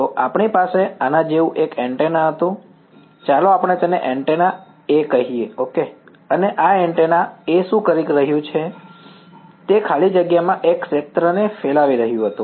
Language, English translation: Gujarati, So, we had one antenna like this let us call it antenna A ok, and what was this antenna A doing, it was radiating a field in free space